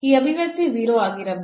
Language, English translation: Kannada, So, this expression must be 0